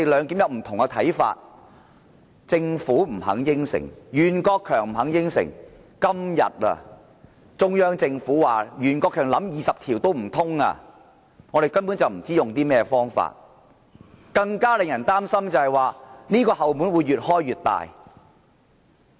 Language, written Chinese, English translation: Cantonese, 今天中央政府更表示，袁國強建議引用《基本法》第二十條也不可行，我們根本不知道可以用甚麼方法，而更令人擔心的是，這道"後門"會越開越大。, Today the Central Government even said no to Rimsky YUENs proposal of invoking Article 20 of the Basic Law . This arouses the concern that the backdoor will become even larger . We simply do not know what other actions to take